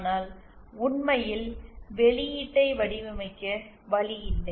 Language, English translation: Tamil, But really there is no way of designing the response